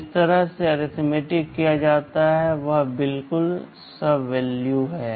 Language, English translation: Hindi, The way the arithmetic is carried out is exactly identical